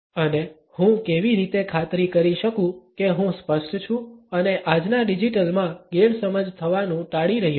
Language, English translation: Gujarati, And how can I make sure I am being clear and avoiding being misunderstood in today’s digital